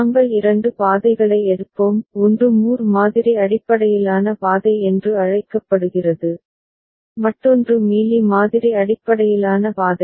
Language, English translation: Tamil, And we shall take two routes; one is called Moore model based route another is Mealy model based route